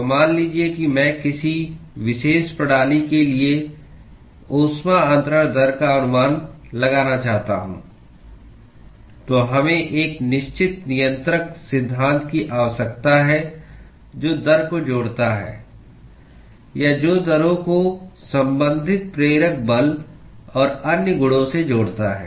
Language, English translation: Hindi, So, suppose I want to estimate a heat transfer rate for a particular system, then we need to have a certain governing laws that connects the rate or that connects the rates with the corresponding driving force and other properties